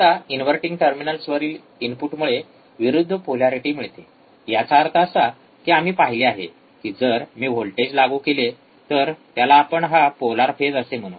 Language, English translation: Marathi, Now, the input at the inverting terminals result in opposite polarity; that means, that we have seen that if I apply a voltage, right which let us say this polar this phase